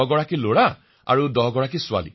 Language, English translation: Assamese, We were 10 boys & 10 girls